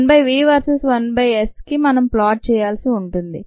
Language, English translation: Telugu, one by v versus one by s is what we need to plot